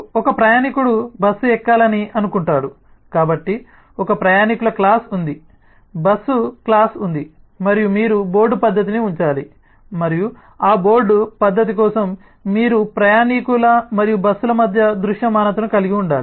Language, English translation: Telugu, suppose a passenger intends to board a bus, so there is a passenger class, there is a bus class and you need to place the board method and for that board method you need to have the visibility between passenger and bus